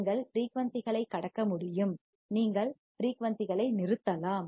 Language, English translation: Tamil, You can pass the frequency; you can stop the frequency